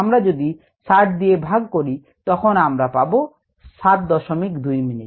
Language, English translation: Bengali, if we divide this by sixty, we get seven point two minutes